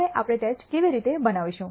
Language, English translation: Gujarati, Now,how do we construct the tests